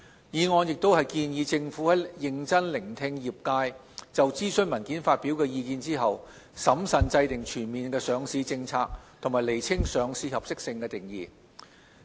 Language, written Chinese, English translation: Cantonese, 議案亦建議政府在認真聆聽業界就諮詢文件發表的意見後，審慎制訂全面的上市政策及釐清上市合適性的定義。, The motion also suggests the Government seriously listen to the views expressed by the industry on the consultation paper prudently formulate a comprehensive listing policy and clarify the definition of suitability for listing